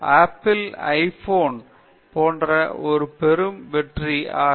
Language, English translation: Tamil, The Apple iPhone become such a massive hit